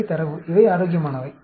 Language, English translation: Tamil, These are the data, and these are the healthy